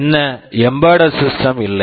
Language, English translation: Tamil, Now, what embedded system is not